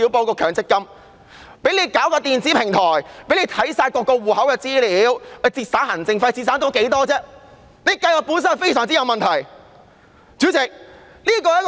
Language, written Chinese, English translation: Cantonese, 這項《條例草案》涉及電子平台，可閱覽所有戶口的資料，以節省行政費，試問可以節省多少費用？, The Bill provides for an electronic platform which allows an access to information of all accounts so as to reduce costs . But how much costs can be saved?